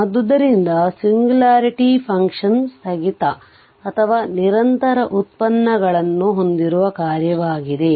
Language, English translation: Kannada, So, singularity function are function that either are discontinuous or have discontinuous derivatives right